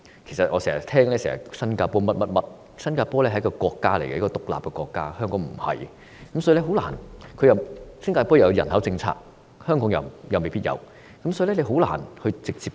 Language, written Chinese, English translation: Cantonese, 其實，大家經常將新加坡與香港比較，新加坡是一個獨立國家，但香港卻不是；而且新加坡有人口政策，香港又沒有，所以根本難以直接比較。, In fact comparisons are often made between Singapore and Hong Kong . However Singapore is an independent country; Hong Kong is not . A population policy is in place in Singapore; such a policy is absent in Hong Kong